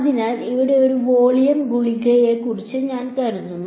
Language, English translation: Malayalam, So, I think of a volume pill over here